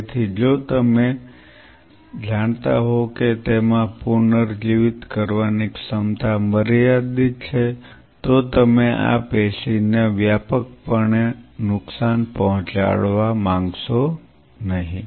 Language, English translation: Gujarati, So, if you know it has a limited ability to regenerate you do not want to damage this tissue extensively